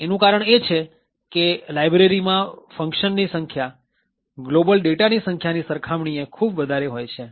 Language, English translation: Gujarati, The reason being that there are far more number of functions in a library then the number of global data